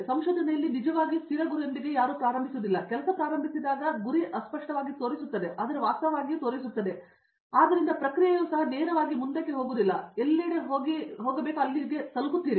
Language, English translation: Kannada, Even in research you don’t actually start with the fixed goal, your goal actually shows up as you start working hence the process is also not straight forward, you kind of go everywhere and then reach there